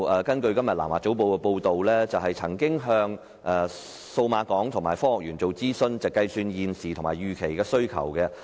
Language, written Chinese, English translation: Cantonese, 根據今天《南華早報》的報道，創科署曾向數碼港及科技園公司諮詢，計算現時及預期的需求。, According to a South China Morning Posts report today ITC has consulted Cyberport and HKSTPC when projecting the existing and expected demand